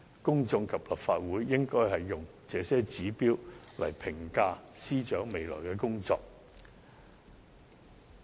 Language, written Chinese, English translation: Cantonese, 公眾及立法會應用這些指標來評價司長未來的工作。, The public and the Legislative Council should use these as a yardstick to evaluate her work in future